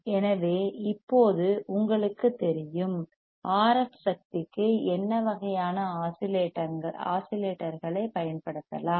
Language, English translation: Tamil, So, now, you know, that what kind of oscillators can be used for RF energy